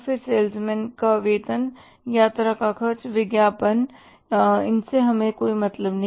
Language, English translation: Hindi, Then, salesman salaries, traveling expenses, advertising, this is none of our concern